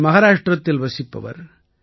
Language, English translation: Tamil, She is a resident of Maharashtra